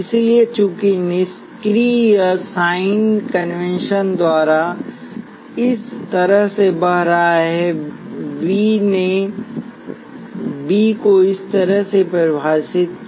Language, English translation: Hindi, So since the current is flowing this way by passive sign convention V defined the voltage V across it to be that way